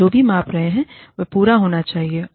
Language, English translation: Hindi, Whatever, we are measuring, should be complete